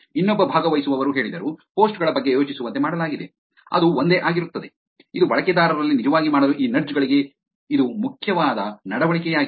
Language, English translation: Kannada, Another participant said, made be think about the posts, which is the same, which is the behavior that is actually important for these nudges to actually make within the users